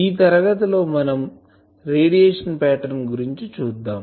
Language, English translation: Telugu, In last class we have seen the radiation pattern